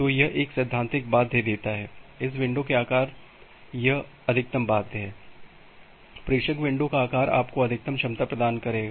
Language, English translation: Hindi, So, this gives a theoretical bound, the maximum bound on this on this window size, the sender window size will which will provide you the maximum capacity